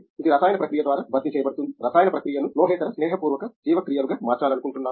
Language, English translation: Telugu, Which is replaced by a chemical process; just we want to convert chemical process into non metallic friendly metabolites